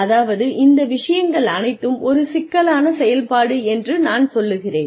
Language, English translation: Tamil, I mean, all of these things are, it is a complex activity